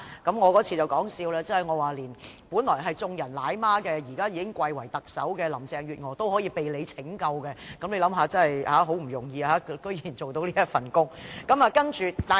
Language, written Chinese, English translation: Cantonese, 我在該次會議上也說笑指，本來是眾人奶媽，現已貴為特首的林鄭月娥竟需要局長拯救，大家可以想想，局長這份工作多麼不容易。, I also joked at that meeting that Carrie LAM who used to be everyones nanny and has now been elevated to the position of Chief Executive surprisingly needed the Secretary to save her . We can just imagine how hard the Secretarys job is